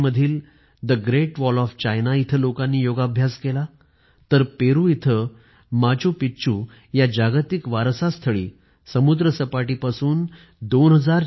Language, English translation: Marathi, In China, Yoga was practiced on the Great Wall of China, and on the World Heritage site of Machu Picchu in Peru, at 2400 metres above sea level